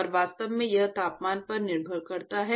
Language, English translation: Hindi, And in fact, it depends on temperature